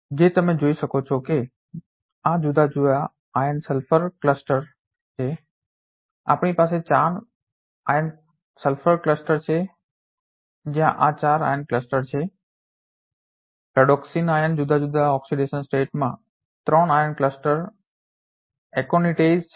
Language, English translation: Gujarati, As you can see these are different iron sulfur cluster we have 4 iron sulfur clusters where this is a four iron clusters Ferredoxin iron are in different oxidation state three iron cluster Aconitase